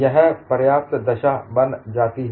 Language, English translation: Hindi, This becomes a sufficient condition